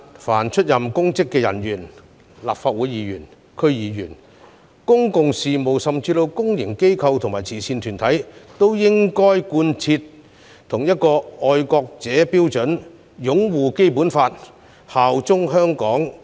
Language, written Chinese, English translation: Cantonese, 凡出任公職的人員，包括立法會議員、區議員、公共事務甚至公營機構和慈善團體的人員，均應該貫徹同一套"愛國者"標準，即擁護《基本法》及效忠香港特區。, All public officers including the Legislative Council Members DC members and even staff members of public utility companies public organizations and charity groups should be required to meet the same set of criteria for patriots ie . upholding the Basic Law and bearing allegiance to HKSAR